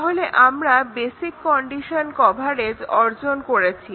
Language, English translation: Bengali, We just looked at the basic condition coverage